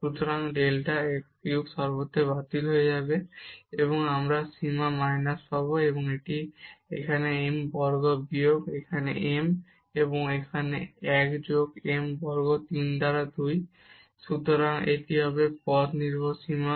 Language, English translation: Bengali, So, delta x cube will get cancelled everywhere, and we will get the limit minus this is m square minus here m and here 1 plus m square 3 by 2